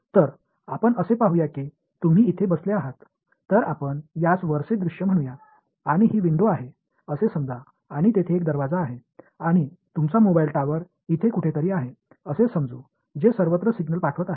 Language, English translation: Marathi, So, let us say you are sitting over here right, so this let us call this a top view and this is your let say this is a window and let us say there is a door over here and your mobile tower is somewhere over here right which is sending out signals everywhere